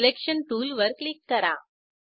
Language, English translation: Marathi, Click on the Selection tool